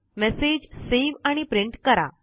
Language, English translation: Marathi, Save and print a message